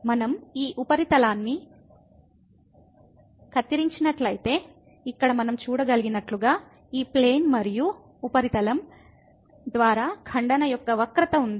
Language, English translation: Telugu, If we cut this surface, then we as we can see here there is a curve of intersection here by this plane and the surface